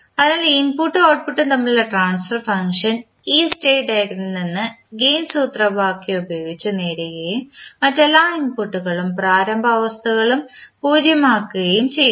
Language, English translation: Malayalam, So transfer function between input and output is obtained from the state diagram by using the gain formula and setting all other inputs and initial state to 0